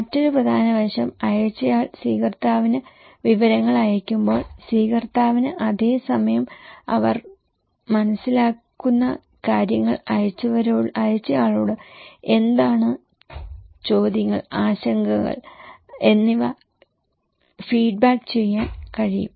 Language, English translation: Malayalam, Another important aspect, when sender is sending informations to receiver, receiver will be same time able to feedback what they understand, what are the questions, concerns they have to the senders